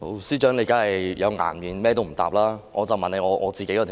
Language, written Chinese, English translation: Cantonese, 司長當然有顏面，完全不答覆議員的質詢。, Of course the Secretary deserves respect as she has not answered Members questions at all